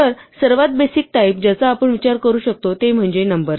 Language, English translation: Marathi, So the most basic type of value that one can think of are numbers